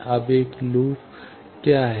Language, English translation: Hindi, Now, what is a loop